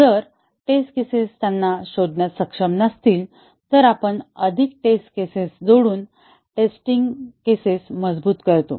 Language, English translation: Marathi, If the test cases are not able to detect them, we strengthen the test cases by adding more test cases